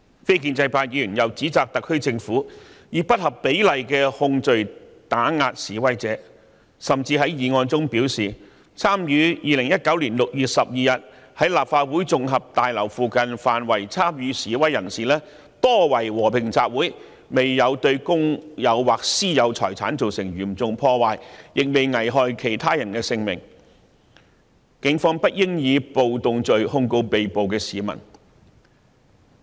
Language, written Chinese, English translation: Cantonese, 非建制派議員又指責特區政府以不合比例的控罪打壓示威者，甚至在議案中表示 ，2019 年6月12日在立法會綜合大樓附近範圍參與示威的人士多為和平集會，並未對公有或私有財產造成嚴重破壞，亦沒有危害其他人的性命，警方不應以暴動罪控告被捕市民。, The non - pro - establishment Members also accuse the SAR Government of intimidating protesters with disproportionate criminal charges . They even claim in the motion that on 12 June 2019 most people protesting in the vicinity of the Legislative Council Complex were assembling peacefully without causing any severe damage to public or private properties or endangering other peoples lives . They say the Police should not lay rioting charges against the arrested citizens